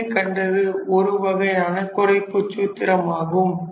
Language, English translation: Tamil, So, this is one such reduction formula